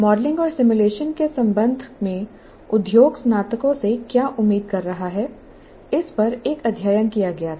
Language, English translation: Hindi, Now, a study was conducted and where the industry, what is the industry expecting from graduates with regard to modeling and simulation